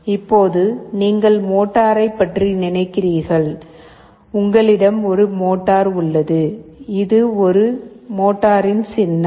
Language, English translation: Tamil, Now you think of the motor, you have the motor out here; this is the symbol of a motor